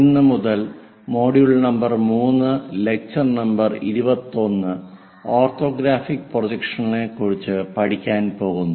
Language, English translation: Malayalam, From today onwards, we will cover module number 3 with lecture number 21, Orthographic Projections